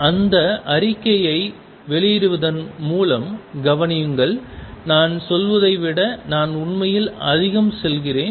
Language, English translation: Tamil, Notice by making that statement I am actually saying much more than what I just state it